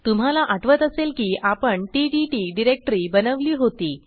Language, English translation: Marathi, Before we begin, recall that we had created ttt directory earlier